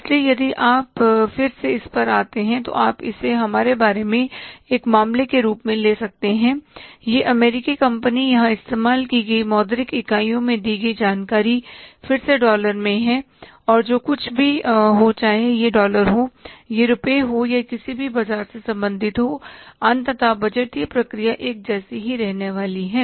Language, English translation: Hindi, So if you go through again you say you can call it as a case about this American company the information given here as the monetary unit use here is again dollars and whatever is the dollar, it is rupee or it belongs to any market